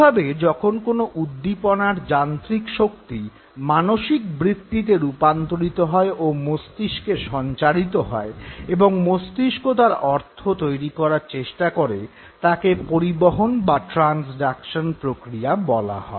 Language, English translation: Bengali, So when the physical energy of the stimuli, when it gets converted into the impulse and gets transmitted to the brain so that the brain can finally make a meaning out of it this is called as the process of transduction okay